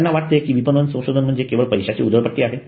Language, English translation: Marathi, They think that marketing research is a wastage of money